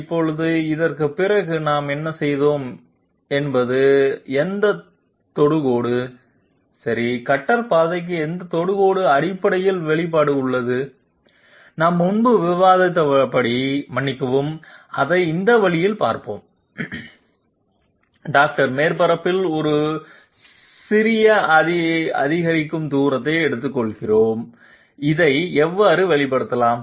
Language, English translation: Tamil, Now, what we have done after this is that any tangent okay any tangent to the cutter path is basically having expression as we have discussed previously sorry let me just look at it this way dR, we are taking a small incremental distance on the surface, small incremental distance on the surface how can we express this